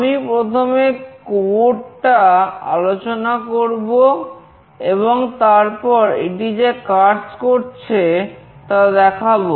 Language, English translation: Bengali, I will be discussing the code first, and then I will demonstrate